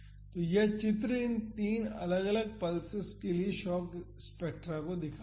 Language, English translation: Hindi, So, this figure shows the shock spectra for these three different pulses